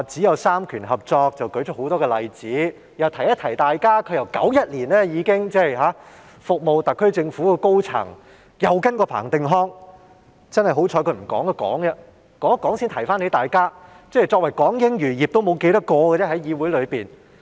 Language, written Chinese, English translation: Cantonese, 我想提醒大家，她自1991年起已經在政府擔任高層，又曾跟隨彭定康工作，幸好她剛才走出來發言，這樣才提醒了大家，作為議會內港英餘孽的人數已所剩無幾。, I would like to remind Members that she had taken up senior positions in the Government since 1991 and worked under Chris PATTEN . Fortunately she has just risen to speak so that Members are reminded that only a few evil remnants of British colonial rule in Hong Kong still hold office as Members of this Council